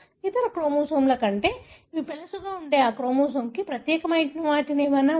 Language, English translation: Telugu, Is their anything that is unique to that chromosome that makes it more brittle than any other chromosome